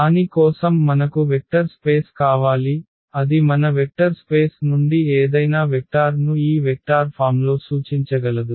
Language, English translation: Telugu, So, for that we need spanning set basically that can span any that can represent any vector from our vector space in the form of this given vector